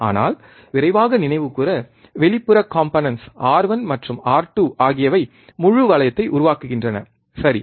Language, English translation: Tamil, But just to quickly recall, external components R 1 and R 2 form a close loop, right